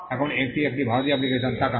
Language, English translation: Bengali, Now, let us look at an Indian application